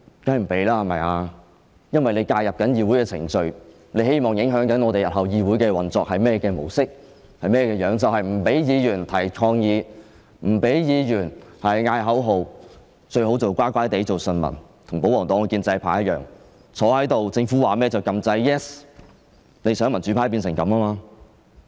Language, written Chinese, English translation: Cantonese, 當然不，因為政府正在介入議會的程序，希望影響議會日後的運作模式，便是不准議員提出抗議、叫喊口號，最好乖乖做順民，與保皇黨和建制派一樣坐在議事堂內，政府說甚麼便按下 "Yes" 按鈕，想民主派變成這樣。, We certainly should not give leave because the Government is intervening in the proceedings of the Council hoping to influence the future mode of operation of the Council Members are not allowed to protest or shout slogans and they should be submissive just like the royalists and pro - establishment Members in the Chamber and they should say yes to whatever the Government proposes . It wants the democrats to become like that